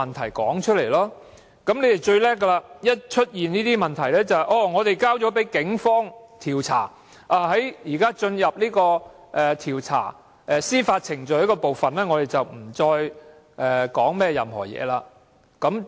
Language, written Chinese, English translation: Cantonese, 他們最厲害的是，只要出現了問題，便推說事件已交給警方調查，現階段已進入了調查及司法程序，不便作任何評論。, They are good at using the Police as an excuse to avoid commenting on any blunder they make saying that the matter is now under police investigation or that the matter has entered the investigation stage or judiciary procedure and they are not supposed to comment on the incident